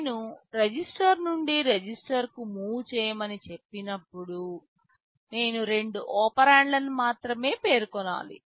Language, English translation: Telugu, You see when I am saying move register to register, I need to specify only two operands